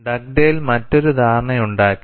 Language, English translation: Malayalam, And Dugdale also made another assumption